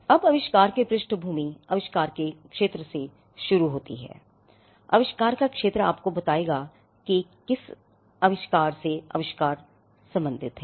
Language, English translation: Hindi, Now, the background of the invention may start with the field of the invention, the field of the invention will tell you to what field of technology does the invention belong to